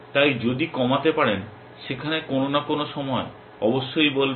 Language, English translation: Bengali, So, if you can reduce that there will say sometime essentially